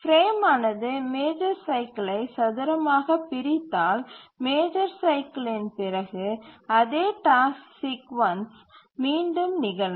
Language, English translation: Tamil, If the frame squarely divides the major cycle, then after the major cycle the same task sequence will repeat